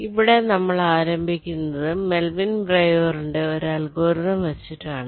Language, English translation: Malayalam, so we start with an interesting algorithm which is proposed by melvin breuer